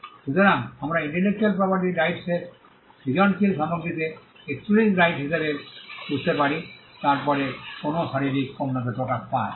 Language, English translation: Bengali, So, we understand intellectual property rights as exclusive rights in the creative content, then manifests in a physical product